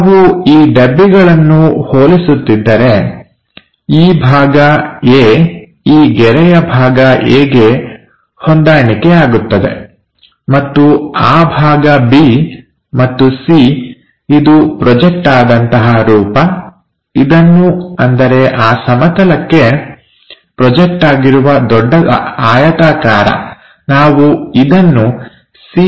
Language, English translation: Kannada, So, if we are comparing these boxes, this A part corresponds to A part of this line; and B part is B part of this part; and C projected version so we will see as C prime whatever that big rectangle projected onto that plane